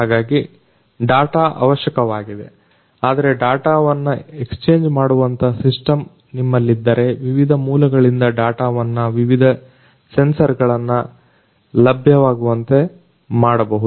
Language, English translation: Kannada, So, data is being acquired, but you know if you can have a system where the data can be exchanged you know, so the data from the different sources the different sensors they all can be made available